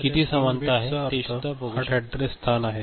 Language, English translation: Marathi, So, this 3 bit means 8 address location